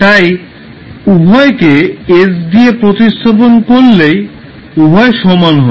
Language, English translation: Bengali, If you replace s by s by a both will be same